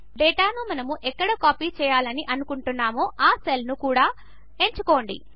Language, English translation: Telugu, Also select the cells where we want to copy the data